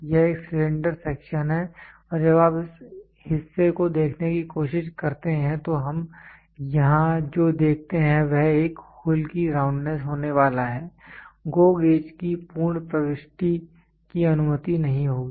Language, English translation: Hindi, This is a cylinder section of these are sections of the cylinder and when you try to see this portion we what we see here is going to be the roundness of a hole, a fully full entry of GO gauge will not be allowed